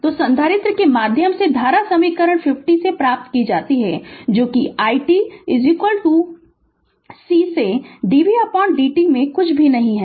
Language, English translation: Hindi, So, current through the capacitor is obtained from equation 50, that is nothing but i t is equal to C into dv by dt